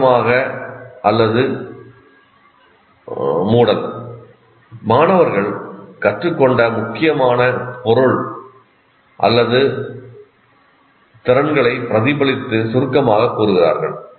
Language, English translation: Tamil, Summarizing or closure, students reflect on and summarize the important material or skills learned